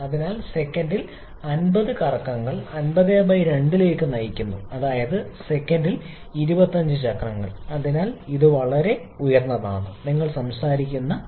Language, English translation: Malayalam, So, 50 revolutions per second leads to 50/2 that is 25 cycles per second, so that is a very high speed that you are talking about